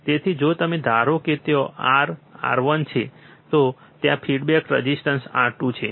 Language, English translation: Gujarati, So, if you assume there is R, R 1 there is a feedback resistor R 2